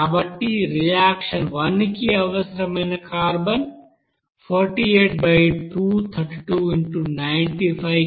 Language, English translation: Telugu, So carbon required by reaction one will be equal to 48 by 232 into here 95 kg